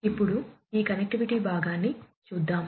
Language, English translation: Telugu, So, let us go through this connectivity part now